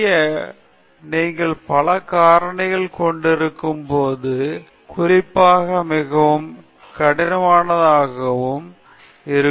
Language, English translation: Tamil, To do this, would be quite tedious especially, when you are having many factors